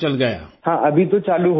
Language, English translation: Urdu, Yes, it has started now